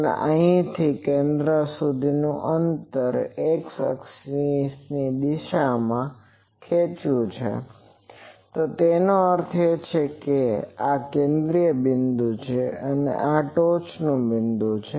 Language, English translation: Gujarati, And here in the x axis is plotted the distance from the center, so that means this is the central point, and this is the top point